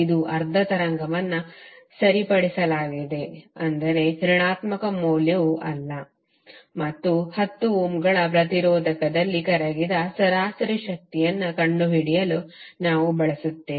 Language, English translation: Kannada, It is half wave rectified means the negative value is not there and we want to find the average power dissipated in 10 ohms resistor